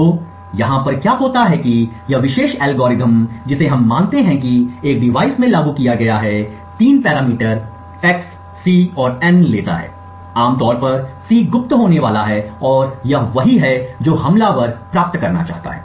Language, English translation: Hindi, So, what happens over here is that this particular algorithm which we assume is implemented in a device takes three parameters x, c and n typically the c is going to be secret and it is what the attacker wants to obtain